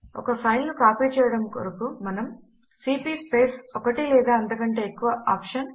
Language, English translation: Telugu, To copy a single file we type cp space one or more of the [OPTION]..